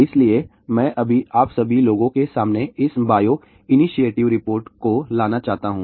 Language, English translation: Hindi, So, I just want to bring ah this Bio Initiative Report in front of all of you people